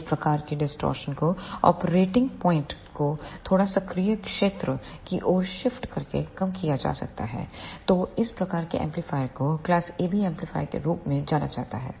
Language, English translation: Hindi, This type of distortion can be reduced by shifting the operating point slightly towards the active region so that type of amplifier are known as the class AB amplifiers